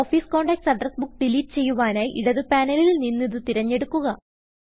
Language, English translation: Malayalam, To delete the address book Office Contacts from the left panel select it